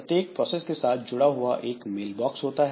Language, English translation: Hindi, So, every process has got an associated mail box